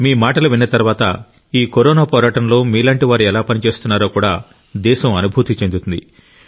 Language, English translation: Telugu, And even the country will get to know how people are working in this fight against Corona